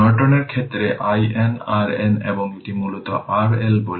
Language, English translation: Bengali, In the case of Norton, i N, R N, and this is basically R L say